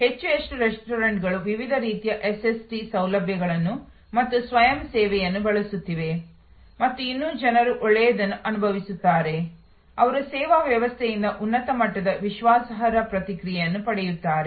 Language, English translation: Kannada, More and more restaurants are using the different types of SST facilities as well as self service and yet people feel good, they get a high level of reliable response from the service system